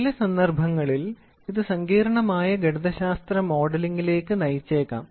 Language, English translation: Malayalam, So, in some cases it may lead to complicated mathematical modelling